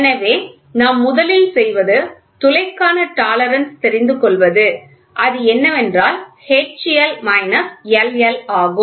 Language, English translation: Tamil, So, what we do is first, we try to figure out the tolerance the tolerance for hole is nothing, but H L minus LL